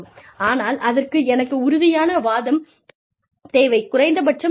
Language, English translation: Tamil, But, i need a convincing argument, at least